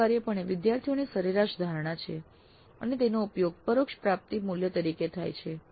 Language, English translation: Gujarati, This is essentially average perception of students and that is used as the indirect attainment value